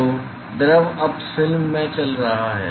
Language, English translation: Hindi, So, the fluid is now moving in the film